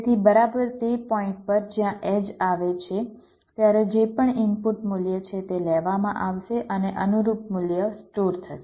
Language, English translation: Gujarati, so exactly at the point where the edge occurs, whatever is the input value, that will be taken and the corresponding value will get stored